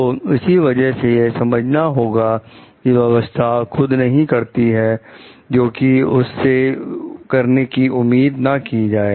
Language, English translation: Hindi, That is why it is very important to understand like the system does not do what it is not expected to do